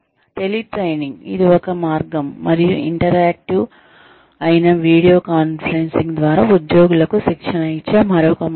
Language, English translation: Telugu, Teletraining, which is one way and, video conferencing, which is interactive, is another way of training employees